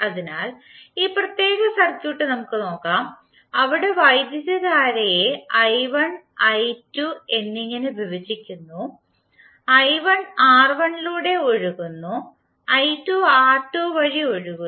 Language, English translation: Malayalam, So now let us see this particular circuit where current is being divided into i1 and i2, i1 is flowing through R1 and i2 is flowing through R2